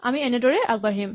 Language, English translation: Assamese, We continue in this way